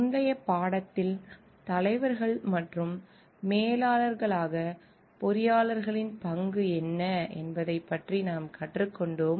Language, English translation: Tamil, In the earlier lesson we have learnt about the role of engineers as leaders and managers